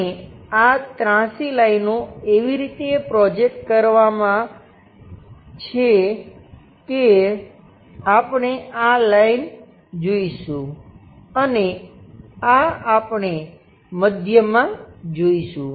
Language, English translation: Gujarati, And this entire inclined lines projected in such a way that we see a line this entire thing, and this one we will see at middle